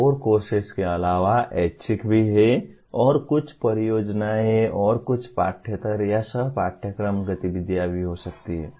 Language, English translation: Hindi, In addition to core courses, there are electives and also there are may be some projects and some extracurricular or co curricular activities